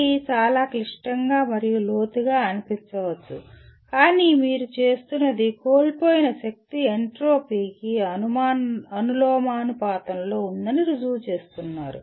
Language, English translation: Telugu, It may sound quite complex and profound but what you are doing is proving that lost power is proportional to entropy is only recalling